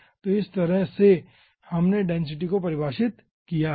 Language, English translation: Hindi, okay, so in this way we have define the densities